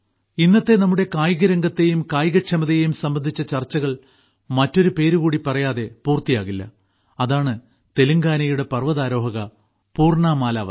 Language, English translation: Malayalam, Today's discussion of sports and fitness cannot be complete without another name this is the name of Telangana's mountaineer Poorna Malavath